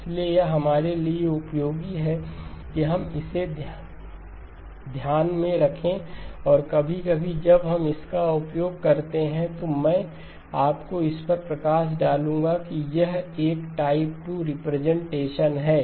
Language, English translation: Hindi, So it is useful for us to just keep that in mind and occasionally when we use it, I will highlight it to you that it is a type 2 representation